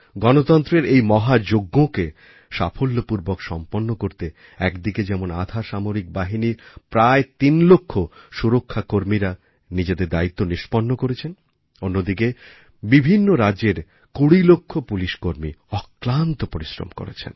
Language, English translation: Bengali, In order to successfully conclude this 'Mahayagya', on the one hand, whereas close to three lakh paramilitary personnel discharged their duty; on the other, 20 lakh Police personnel of various states too, persevered with due diligence